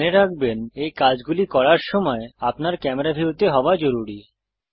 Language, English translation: Bengali, Do remember that to perform these actions you need to be in camera view